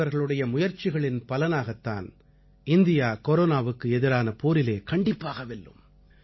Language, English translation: Tamil, Due to efforts of people like you, India will surely achieve victory in the battle against Corona